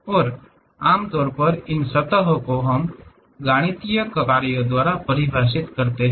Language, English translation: Hindi, And, usually these surfaces we define it by mathematical functions